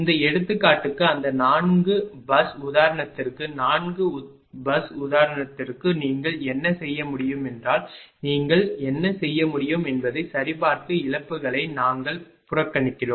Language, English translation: Tamil, For this example for that 4 bus example, for 4 bus example what you can do is that just check just check what you can do we neglect the losses